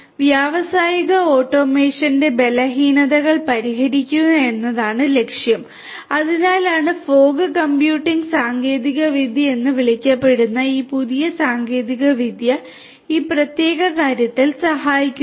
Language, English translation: Malayalam, So, the goal is to address the weaknesses of industrial automation, that have been there and that is why this new technology such as the new technology which is called the fog computing technology will help in this particular regard